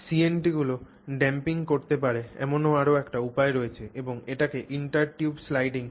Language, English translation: Bengali, There is another way in which CNTs can do damping and that is called intertube sliding